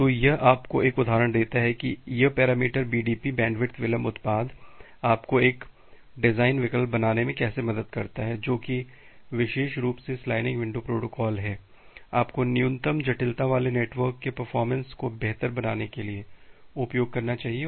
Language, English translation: Hindi, So, this gives you an intuition or an example that how this parameter BDP bandwidth delay product help you to make a design choice that which particular sliding window protocol, you should use to improve the network performance with having minimal complexity